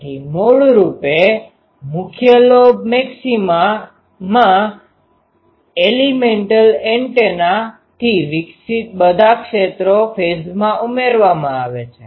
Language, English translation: Gujarati, So, basically in the main lobe maxima all the radiated fields from elemental antennas are added in phase